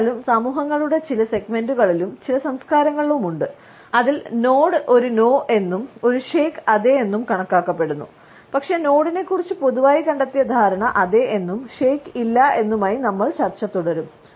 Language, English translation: Malayalam, However, there are certain segments of societies and certain cultures in which the nod is considered to be a no and a shake is considered to be a yes, but we would continue our discussion aligning with the commonly found understanding of the nod as yes and shake as a no